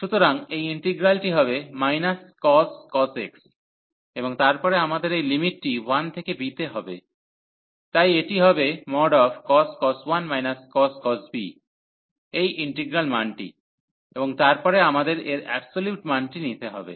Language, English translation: Bengali, So, this integral will be the minus this cos x, and then we have this limit a to b, so which will b this cos 1 minus the cos b this integral value, and then the absolute value of of of these we have to consider